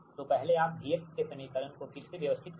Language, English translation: Hindi, so first you rearrange the equation of v x